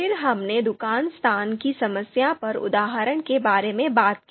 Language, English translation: Hindi, Then we talked about this specific example on shop location problem